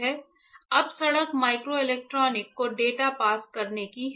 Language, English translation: Hindi, Now the road is to pass the data to microelectronics